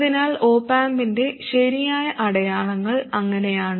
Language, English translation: Malayalam, So the correct signs of the op amp are like that